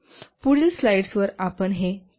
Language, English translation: Marathi, We will look at this in the next slide